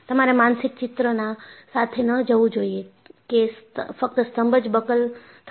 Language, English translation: Gujarati, So, you should not go with the mental picture that, only columns will be buckled